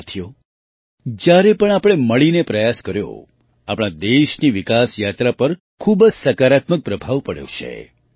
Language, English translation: Gujarati, Friends, whenever we made efforts together, it has had a very positive impact on the development journey of our country